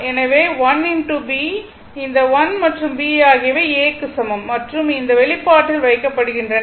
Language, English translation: Tamil, So, l into B, this l and B is equal to A and you put in put in this expression